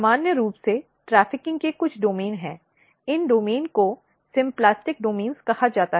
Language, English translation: Hindi, There are some domain of trafficking normally these domains are called symplastic domains